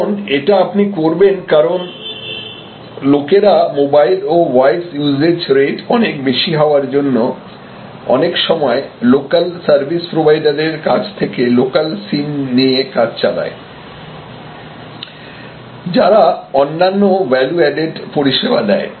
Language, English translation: Bengali, And this you will do because people, because of that high usage rate high charges for mobile and data voice usage they have been using other in a local sim’s local service providers are different other types of value added service provider